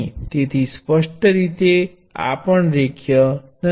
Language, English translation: Gujarati, So, clearly this is also not linear